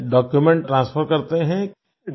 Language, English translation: Hindi, That means you transfer the documents